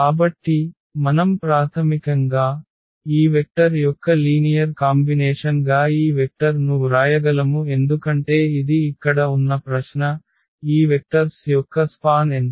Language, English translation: Telugu, So, what do we need to check basically can we write this vector as a linear combination of these two vectors because this is the question here that is this vector in the span of the vectors of this